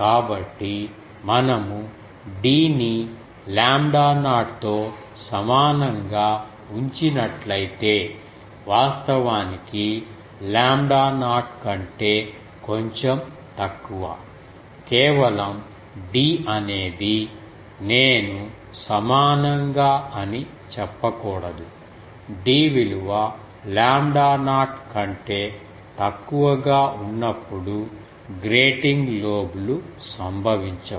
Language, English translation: Telugu, So, if we keep d equal to lambda not actually slightly less than lambda not, just d is I should not say equal, d is equal to less than lambda not the grating lobe gets avoided